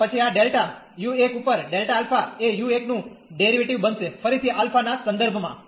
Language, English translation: Gujarati, And then this delta u 1 over delta alpha will become the derivative again of u 1 with respect to alpha